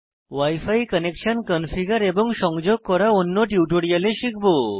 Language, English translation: Bengali, You will learn about configuring wi fi connections in another tutorial